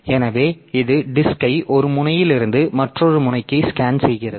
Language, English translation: Tamil, So, it scans the disk from one end to the other end